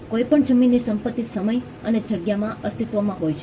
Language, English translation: Gujarati, Any landed property exists in time and space